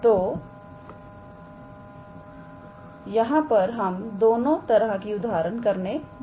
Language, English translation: Hindi, So, these now we are doing both types of examples there